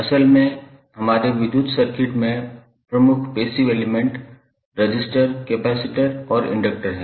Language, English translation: Hindi, Basically, the major passive elements in our electrical circuits are resistor, capacitor, and inductor